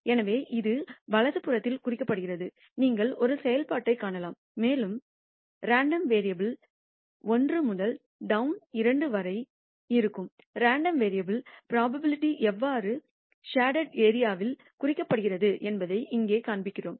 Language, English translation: Tamil, So, this is denoted on the right hand side, you can see a function and here we show how the random variable the probability that the random variable lies between minus 1 to town 2 is denoted by the shaded area